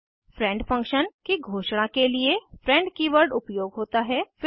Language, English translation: Hindi, friend keyword is used to declare a friend function